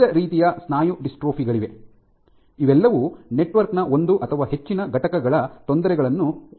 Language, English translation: Kannada, There are various types of muscular dystrophies one of which is all of which involve perturbation of one or more components of this network